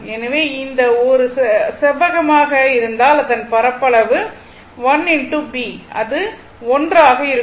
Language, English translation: Tamil, So, area of this one right if it is rectangular 1, it is l into b